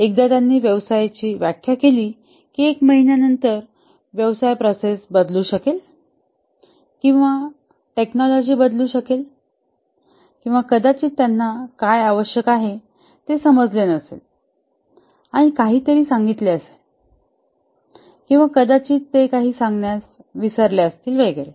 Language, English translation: Marathi, Once they have defined a business procedure, maybe after a month the business procedure changes or maybe the technology changes or maybe they might have not understood what is required and told something else